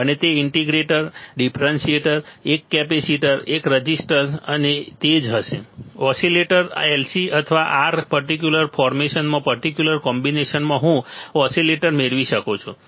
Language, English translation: Gujarati, Integrator, differentiator, one capacitor, one resistor and that will that will be it right; oscillators LC or R in a particular formation particular combination I can get oscillators